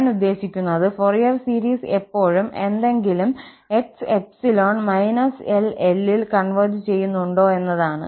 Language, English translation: Malayalam, I mean, the first question is whether the Fourier series always converges for any x in the interval minus L to L